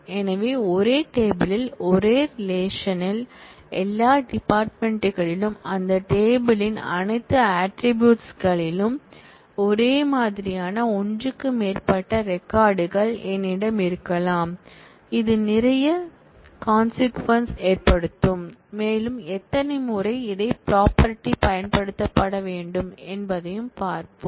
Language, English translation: Tamil, So, it is possible that in the same relation in the same table, I may have more than one record which are identical in all the fields, in all the attributes of that table and this will have lot of consequences and we will see how often, this property will have to be used